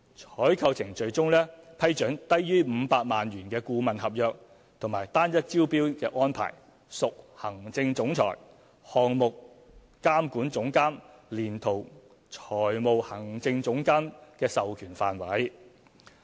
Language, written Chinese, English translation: Cantonese, 採購程序中批准低於500萬元的顧問合約及單一招標安排，屬行政總裁、項目監管總監連同財務行政總監的授權範圍。, Under these procedures the use of single tendering and the award of a consultancy agreement with a value of less than 5 million is within the approving authority of the Chief Executive Officer; Director Project Control; and Executive Director Finance of WKCDA